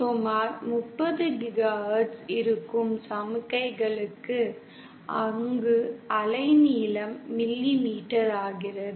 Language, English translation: Tamil, For signals which are about 30 GHz, there the wavelength becomes in millimetre